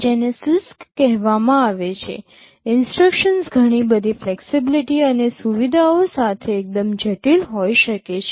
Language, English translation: Gujarati, These are called CISC, the instruction can be fairly complex with lot of flexibilities and features